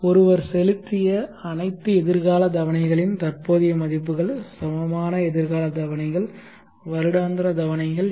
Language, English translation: Tamil, What are the present worth of all the future installments equal future installments annual installments at one would be